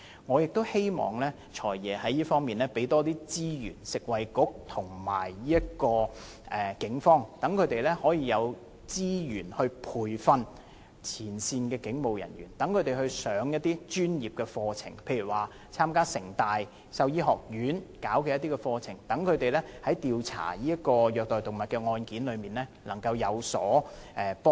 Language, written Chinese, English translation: Cantonese, 我希望"財爺"就這方面增撥資源予食物及衞生局和警方，以培訓前線警務人員，例如讓他們參加香港城市大學動物醫學及生命科學學院舉辦的一些課程，以加強調查虐待動物案件時的能力。, I hope the Financial Secretary can allocate additional resources to the Food and Health Bureau and the Police in this respect for the training of frontline police officers such as enrolling them in some courses organized by the College of Veterinary Medicine and Life Sciences the City University of Hong Kong so as to enhance their abilities of investigating cases of animal abuse